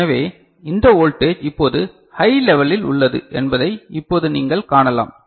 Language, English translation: Tamil, So, that is what you can see now, that this voltage is now held at high